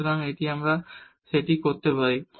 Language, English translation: Bengali, So, we can do that